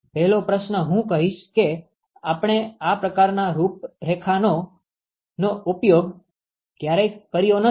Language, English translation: Gujarati, The first question I would say we have never used this kind of a configuration